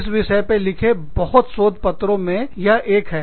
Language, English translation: Hindi, This is just, one of the many, many papers, that have been written on it